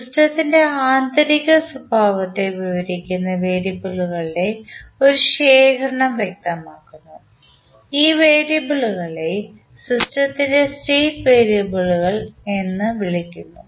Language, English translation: Malayalam, We specify a collection of variables that describe the internal behaviour of the system and these variables are known as state variables of the system